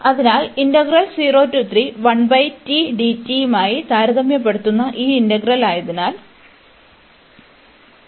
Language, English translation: Malayalam, So, since this integral which we are comparing with 1 over t, this integral diverges